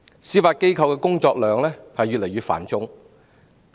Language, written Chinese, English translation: Cantonese, 司法機構的工作量越來越繁重。, The Judiciary has an increasingly heavy workload